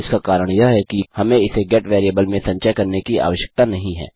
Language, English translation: Hindi, The reason for this is that we dont need to store it in a GET variable